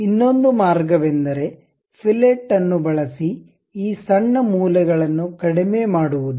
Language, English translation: Kannada, The other way is use fillet to really reduce this short corners